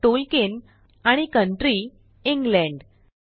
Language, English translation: Marathi, Tolkien, and country asEngland 4